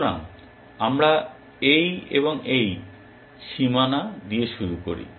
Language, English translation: Bengali, So, we start with this and this bounds